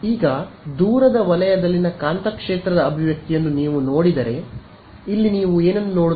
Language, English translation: Kannada, Now, if you look at the expression for the magnetic field in the far zone, over here what do you see